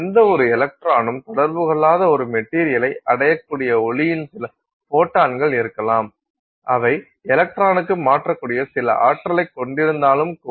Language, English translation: Tamil, So, you may have some photons of light that arrive at a material that do not interact with any electron even though they have some energy that they could transfer to an electron, right